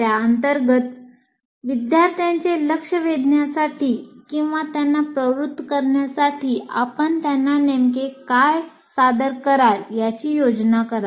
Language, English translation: Marathi, Under that you have to write what exactly are you planning to present for getting the attention of the student or motivate them to learn this